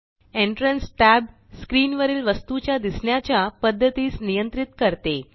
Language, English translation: Marathi, The Entrance tab controls the way the item appears on screen